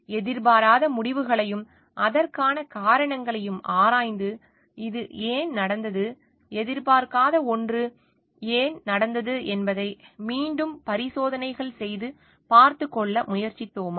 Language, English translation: Tamil, Have we explored for the unexpected results and the reasons for it and try to take care of it by again doing experiments to find out why this thing happened, why something happened which was not expected